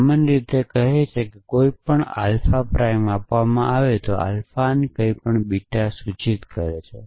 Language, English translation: Gujarati, In general modifies says that given any alpha prime and anything of alpha implies beta